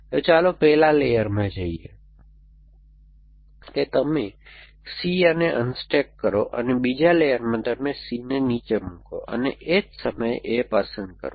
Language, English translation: Gujarati, So, let say in the first layer, you unstack C A and in the second layer you put down C and pick up A at the same time